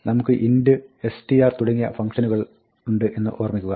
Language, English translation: Malayalam, Remember, we have these functions int, str and so on